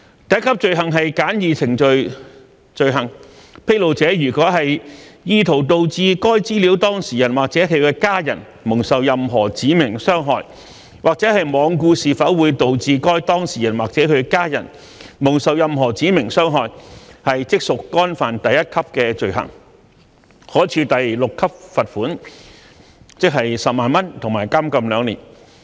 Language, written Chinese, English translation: Cantonese, 第一級罪行是簡易程序罪行，披露者如果意圖導致該資料當事人或其家人蒙受任何指明傷害，或罔顧是否會導致該當事人或其家人蒙受任何指明傷害，即屬干犯第一級罪行，可處第6級罰款及監禁2年。, The first tier offence is a summary offence . A discloser commits the first tier offence and may be liable to a fine at level 6 and imprisonment for two years if heshe has an intent to cause any specified harm or is being reckless as to whether any specified harm would be caused to the data subject or hisher family members